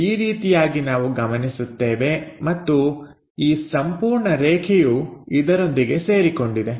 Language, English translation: Kannada, This is the way we observe and this entire line, will coincide with it